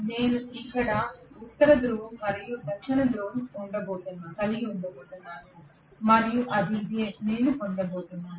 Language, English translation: Telugu, I am going to have probably the north pole here and south pole here and so on that is it, that is what I am going to get